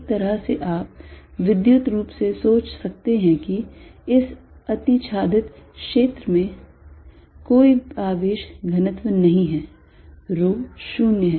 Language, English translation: Hindi, In a way you can think electrically this overlap region also to have no charge density, rho is 0